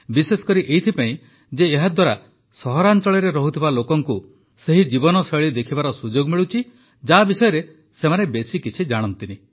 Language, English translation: Odia, Specially because through this, people living in cities get a chance to watch the lifestyle about which they don't know much